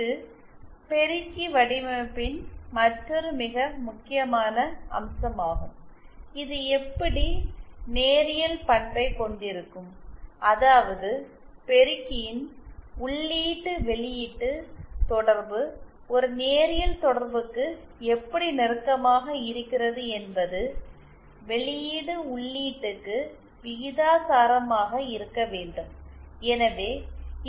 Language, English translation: Tamil, This is another very important aspect of the amplifier design how linear it is that is how close the input output relationship of the amplifier are towards are to a linear relationship that is output should be proportional to the input